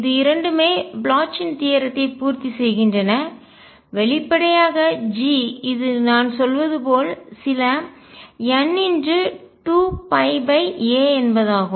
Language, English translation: Tamil, And both satisfy the Bloch’s theorem G obviously, as I we have been saying is some n times 2 pi over a